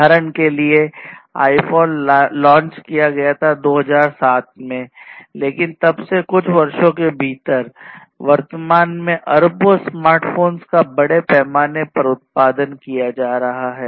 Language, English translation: Hindi, iPhone was launched in 2007, but since then only within few years, billions of smartphones are being mass produced at present